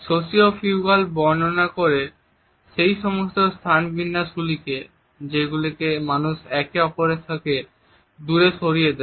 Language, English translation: Bengali, Sociofugal describes those space arrangements that push people apart away from each other